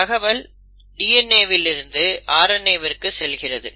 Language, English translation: Tamil, So that is DNA to RNA